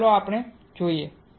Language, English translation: Gujarati, So, what we have seen